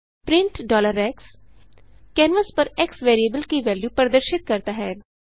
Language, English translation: Hindi, print $x displays the value of variable x on the canvas